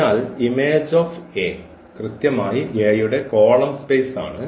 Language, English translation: Malayalam, So, thus the image A is precisely the column space of A